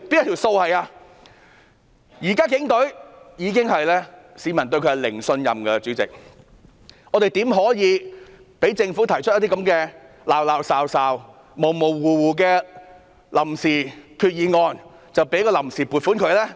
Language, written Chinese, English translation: Cantonese, 現時市民對警隊已是零信任，主席，我們豈可讓政府提出這種模模糊糊的決議案，批准臨時撥款呢？, At present the public do not trust the Police Force at all . President how can we allow the Government to put forth such an ambiguous resolution and approve the funds on account?